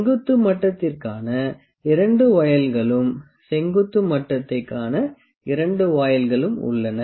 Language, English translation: Tamil, And also the 2 voiles for the vertical level as well 2 voiles to see the vertical level as well